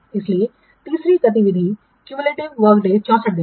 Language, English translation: Hindi, So up to the third activity, the cumulative work day is 64 days